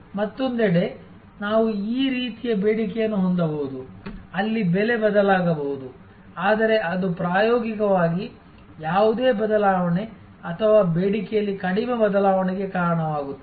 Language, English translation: Kannada, On the other hand we can have this type of demand, where the price may change, but that will cause practically no change or very little change in demand